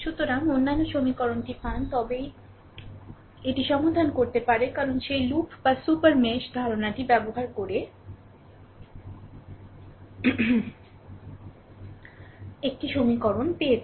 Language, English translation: Bengali, So, get that other equation then only I can solve it because using that loop or super mesh concept I got one equation